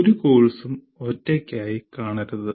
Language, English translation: Malayalam, No course should be seen in isolation